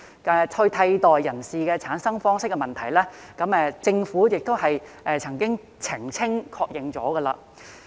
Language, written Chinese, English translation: Cantonese, 至於替代人士的產生方式問題，政府亦曾就此澄清和確認。, The Government has also clarified and confirmed how the substitute person should be selected